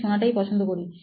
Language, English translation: Bengali, I prefer listening